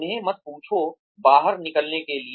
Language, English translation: Hindi, Do not ask them, to get out